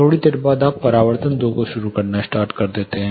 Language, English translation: Hindi, After a while you start hearing reflection 2